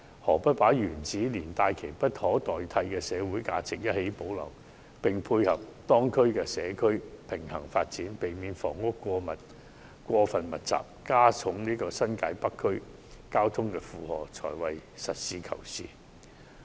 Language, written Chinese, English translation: Cantonese, 反而，把球場原址連帶其無可取代的社會價值一併保留，並配合當區的社區平衡發展，避免房屋過分密集，加重新界北區的交通負荷，才是實事求是的做法。, On the contrary it is more pragmatic to preserve the golf course in its existing location along with its irreplaceable social values which can complement the balanced development of the community in the district while avoiding the overconcentration of housing and aggravation of traffic load in Northern New Territories